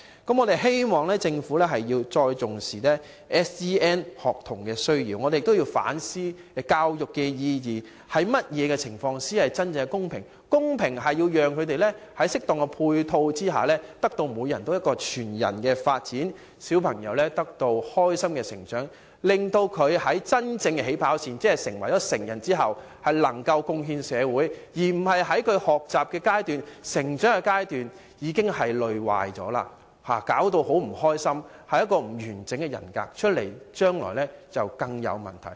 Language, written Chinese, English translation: Cantonese, 我希望政府重視 SEN 學童的需要，我們同時亦要反思教育意義，怎樣做才可真正讓他們在適當配套下得到全人發展，開心地成長，令他們在真正的起跑線即長大成人後能夠貢獻社會，而不是在學習和成長階段已經因累壞而變得不快樂，亦因此不能建立完整人格，日後引發更多問題。, Meanwhile we have to reflect on the purpose of education and measures to be taken to enable these children to pursue holistic development and grow up happily with appropriate support . In doing so they will be able to make contribution to society when they become adults that is the real starting line . Otherwise they will become very unhappy because of extreme fatigue during their learning and development stages